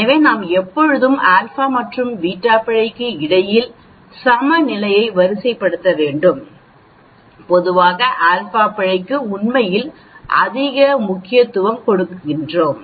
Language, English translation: Tamil, So we need to always, sort of balance between the alpha and the beta error and generally we give more importance to the alpha error actually